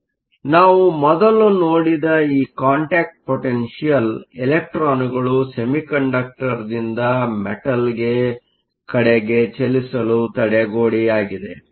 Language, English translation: Kannada, So, this contact potential we saw earlier was the barrier for the electrons to move from the semiconductor to the metal